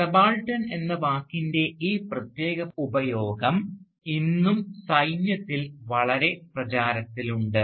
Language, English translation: Malayalam, And this particular use of the word subaltern, in fact, is still very much prevalent within the military even today